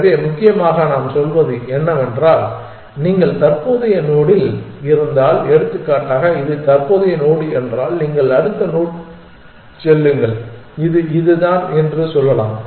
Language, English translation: Tamil, So, essentially what we are saying is at if you are at current node, so for example, if this is the current node then you move to the next node which is this let us say this one